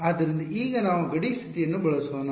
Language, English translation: Kannada, So, now, let us use the boundary condition